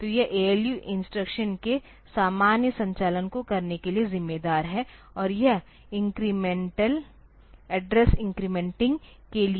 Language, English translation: Hindi, So, this ALU is responsible for doing the normal operations of the instructions and this incremental is for address incrementing